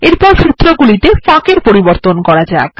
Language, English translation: Bengali, Next, let us make changes to the spacing of the formulae